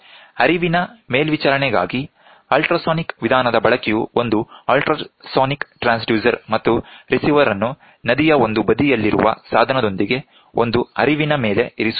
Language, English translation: Kannada, The use of ultrasonic method for flow monitoring this consists of setting up an ultrasonic transducer and a receiver across the flow with the equipment on one side of the river being downstream of that of the other side